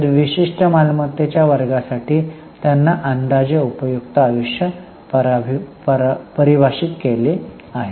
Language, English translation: Marathi, So, reasonably long range but for a particular class of assets they have defined some estimated useful life